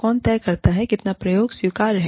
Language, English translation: Hindi, Who decides, how much of experimentation, is acceptable